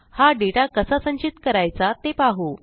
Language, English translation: Marathi, Let us now see how to store this data